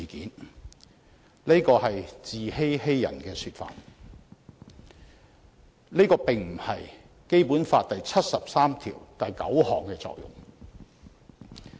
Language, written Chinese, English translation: Cantonese, 然而，這只是自欺欺人的說法，亦並非《基本法》第七十三條第九項的作用。, However they are only trying to deceive themselves and others and this is not the purpose of Article 739 of the Basic Law